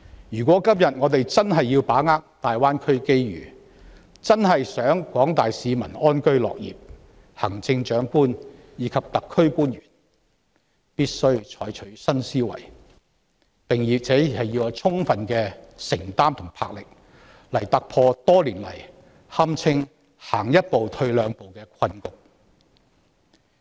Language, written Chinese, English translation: Cantonese, 若今天我們真的想要把握大灣區的機遇、真的希望廣大市民能安居樂業，行政長官及特區官員必須採取新思維，並且要具備充分承擔和魄力，來突破多年來堪稱是走一步退兩步的困局。, If today we really want to capitalize on the opportunities brought by the Greater Bay Area development and enable the general public to live in peace and work with contentment the Chief Executive and SAR officials must adopt new thinking and remain fully committed and resolute to break the persistent quagmire that can be regarded to be one step forward and two steps backward